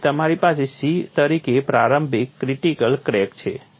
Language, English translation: Gujarati, So, you have initial critical crack as a c